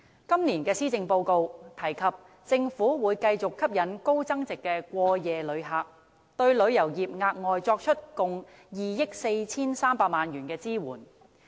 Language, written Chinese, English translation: Cantonese, 今年施政報告提出，政府會繼續吸引高增值的過夜旅客，並對旅遊業額外作出共2億 4,300 萬元的支援。, The Policy Address this year stated that the Government would continue to attract more high - yield overnight visitors and support the tourism industry by allocating an additional sum of 243 million